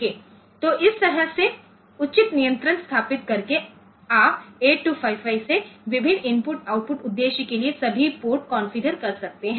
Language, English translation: Hindi, So, you can configure all the ports from 8255 and for different input output purpose